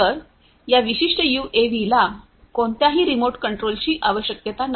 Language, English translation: Marathi, So, this particular UAV does not need any remote control